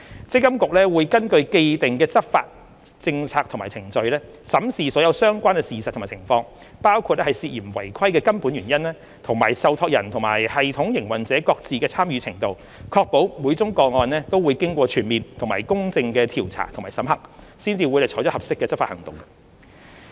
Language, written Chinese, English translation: Cantonese, 積金局會根據既定的執法政策和程序，審視所有相關事實及情況，包括涉嫌違規的根本原因，以及受託人與系統營運者各自的參與程度，確保每宗個案均會經過全面及公正的調查和審核，才採取合適的執法行動。, MPFA will examine all relevant facts and circumstances including the root cause of the suspected breach and the respective involvement of a trustee and the system operator according to the enforcement policy and procedures and ensure that every case will be investigated and examined in a comprehensive and fair manner before taking suitable enforcement action